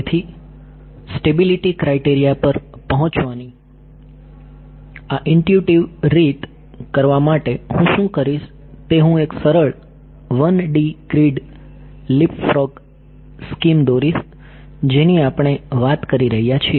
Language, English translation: Gujarati, So, for doing this intuitive way of arriving at the stability criteria what I will do is I will draw a simple 1D grid right LeapFrog scheme is what we have been talking about